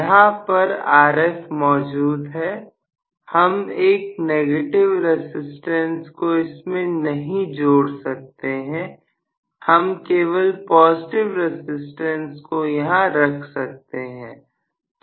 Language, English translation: Hindi, What I have is Rf, that Rf is very much there, I cannot include a negative resistance I can only include a positive resistance